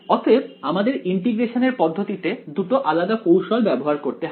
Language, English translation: Bengali, So, therefore, in our integration strategy we have to use 2 different techniques